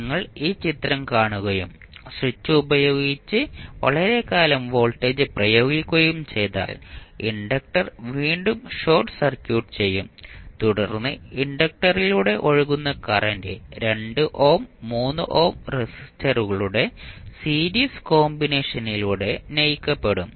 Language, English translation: Malayalam, If you see this figure and if you apply voltage this for very long duration with switch is open the inductor will again be short circuited and then the current flowing through the inductor will be driven by the series combination of 2 ohm and 3 ohm resistances